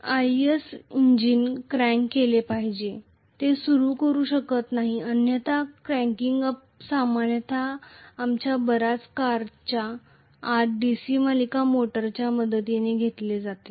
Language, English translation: Marathi, IC engines have to be cranked up, they cannot start otherwise, the cranking up is normally done with the help of a DC series motor inside most of our cars